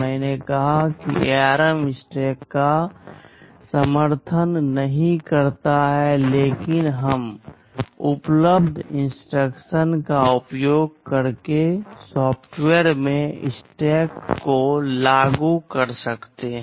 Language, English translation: Hindi, I said ARM does not support a stack, but we can implement a stack in software using available instructions